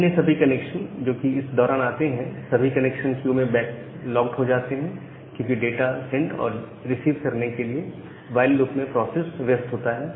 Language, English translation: Hindi, Now all other connection, which comes in this duration are backlogged in the connection queue, because the process is busy inside this while loop to send and receive data